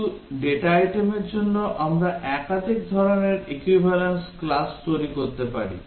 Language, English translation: Bengali, For some data item we can construct multiple types of equivalence classes